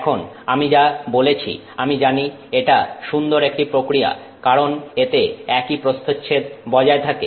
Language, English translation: Bengali, Now, as I mentioned, you know, this is nice because it maintains the same cross section